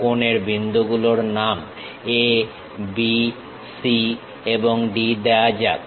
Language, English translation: Bengali, Let us name the corner points as A, B, C, and D